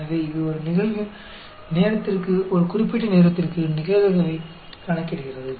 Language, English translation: Tamil, So, it calculates the probability of time, for a particular time to, for an event to happen